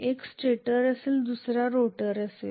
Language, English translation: Marathi, One will be a stator and the other one will be a rotor